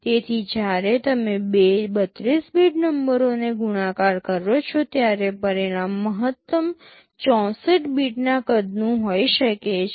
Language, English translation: Gujarati, So, when you multiply two 32 bit numbers the result can be maximum 64 bit in size